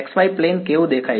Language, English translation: Gujarati, What does the x y plane look like